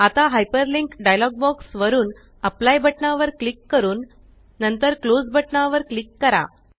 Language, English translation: Marathi, Now, from the Hyperlink dialog box, click on Apply and then click on Close